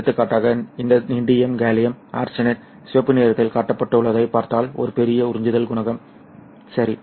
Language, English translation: Tamil, For example, this indium gallium arsenide, if you look at, which is shown in the red, there is a large absorption coefficient, and then suddenly there is a drop towards zero